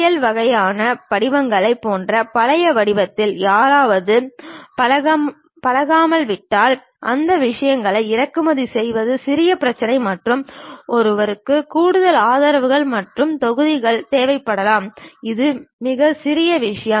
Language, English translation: Tamil, But if someone is accustomed to old kind of format like STL kind of forms, then importing those things slight issue and one may require additional supports and modules which is very minor thing